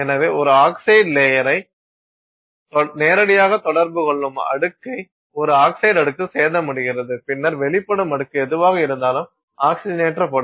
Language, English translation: Tamil, So, the same thing happens when you do a wire test, the layer that is directly in contact, any kind of oxide layer it has, that oxide layer gets damaged and then whatever is the exposed layer that also gets oxidized